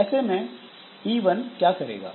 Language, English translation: Hindi, So, what this P1 will do